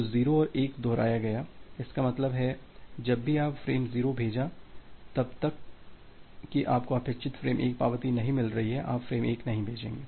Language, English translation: Hindi, So, repeated 0’s and 1’s so; that means, whenever you have send frame 0, unless you are getting this acknowledgement with the expected frame 1; you will not send frame 1